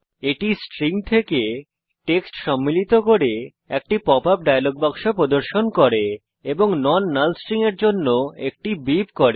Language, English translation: Bengali, It shows a pop up dialog box containing text from the string and also generates a beep for non null strings